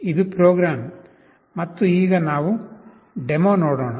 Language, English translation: Kannada, This is the program, and let us see the demo now